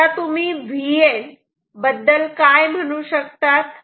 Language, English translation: Marathi, Now what can we say about V N